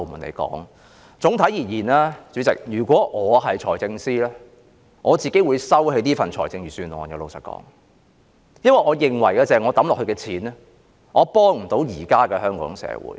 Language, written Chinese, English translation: Cantonese, 主席，總的來說，如果我是財政司司長，老實說，我會收回這份財政預算案，因為我認為我所花的錢無法幫助現時的香港社會。, Chairman on the whole if I were the Financial Secretary frankly I would withdraw this Budget because I did not think the money to be spent could help the Hong Kong society now